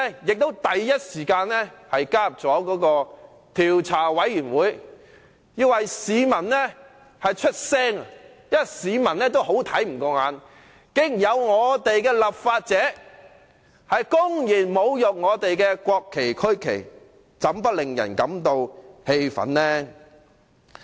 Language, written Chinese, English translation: Cantonese, 調查委員會成立後我亦立即加入，為市民發聲，因為市民也看不過眼，竟然有立法者公然侮辱國旗和區旗，怎不令人感到氣憤呢？, I joined the Investigation Committee IC immediately after it had been set up with a view to speaking for the public . Members of the public have found it unacceptable that a lawmaker had actually publicly desecrated the national flag and regional flag . How can people not feel infuriated?